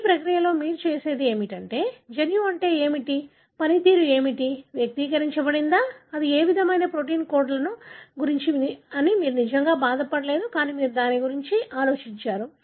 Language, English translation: Telugu, So, in this process what you have done is you really did not bother about what is the gene, what is the function, whether it is expressed, what kind of protein it codes, you did not bother about that